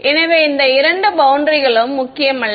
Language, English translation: Tamil, So, these two boundaries are not important